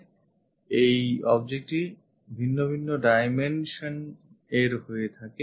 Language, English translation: Bengali, And this object is of different dimensions